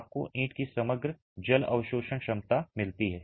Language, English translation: Hindi, You get the overall water absorption capacity of the brick